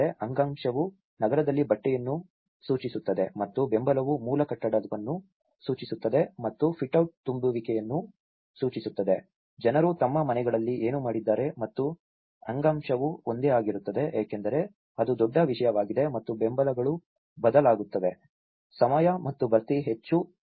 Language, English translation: Kannada, The tissue refers to the urban fabric and the support refers to the base building and the fitout refers to the infill, what the people have done in their houses and the tissue tends to remain the same because itís a larger content and the supports will change with time and infill will change more regularly